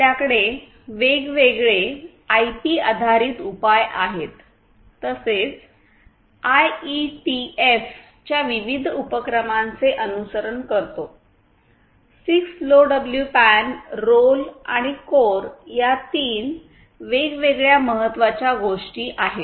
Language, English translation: Marathi, So, we have different IP based solutions as well typically following different initiatives by IETF, 6LoWPAN, ROLL and CoRE are 3 different important ones which I mentioned already